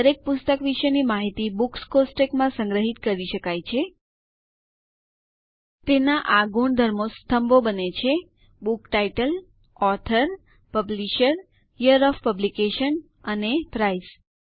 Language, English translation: Gujarati, Information about each book can be stored in a Books table, with its attributes becoming the columns: book title, author, publisher, year of publication and price